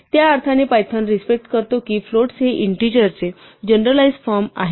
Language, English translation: Marathi, In that sense python respects the fact that floats are a generalized form of int